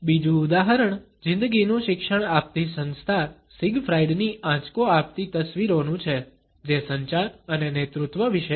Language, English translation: Gujarati, Another example is of the brunt images of a life coaching company Siegfried which is about communication and leadership